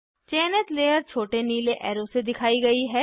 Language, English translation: Hindi, Layer selected is pointed by small blue arrow